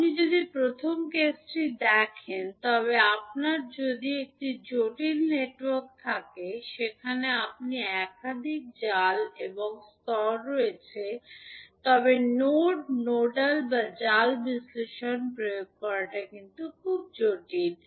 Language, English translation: Bengali, So, if you see the first case you, if you have a complex network where you have multiple mesh and nodes of level, then applying the node nodal or mesh analysis would be a little bit cumbersome